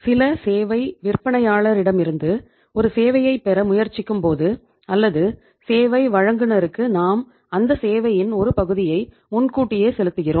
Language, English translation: Tamil, Say for example when we try to have a service from some service vendor or service provider we pay him part of that service in advance